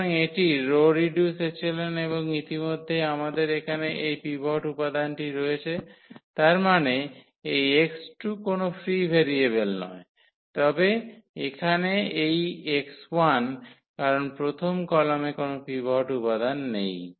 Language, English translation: Bengali, So, this is the row reduced echelon form already and we have here this pivot element; that means, this x 2 is not a free variable, but here this x 1 because the first column does not have a pivot element